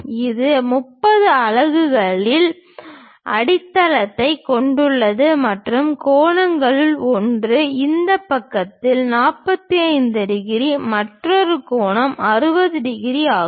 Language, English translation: Tamil, It has a base of 30 units and one of the angle is 45 degrees on this side, other angle is 60 degrees